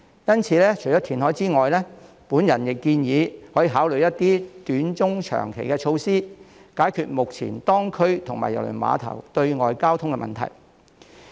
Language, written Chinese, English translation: Cantonese, 因此，除了填海之外，我亦建議可以考慮一些短、中、長期措施，以解決目前當區及郵輪碼頭對外的交通問題。, For this reason on top of reclamation I also suggest that some short - medium - and long - term measures can be considered in order to solve the existing problems with the traffic in the district and the external access of the cruise terminal